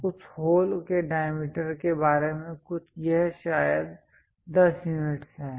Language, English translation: Hindi, Something about diameter of that hole perhaps this one is that 10 units